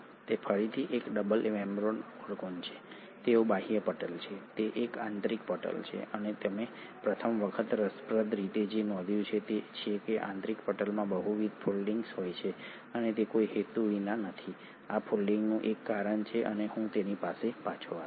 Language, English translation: Gujarati, It is again a double membraned organelle, it has an outer membrane, an inner membrane and what you notice intriguingly for the first time is that the inner membrane has multiple foldings and it is not without a purpose, there is a reason for this folding and I will come back to it